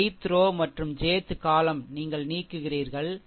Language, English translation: Tamil, Ith row and jth column you eliminate, right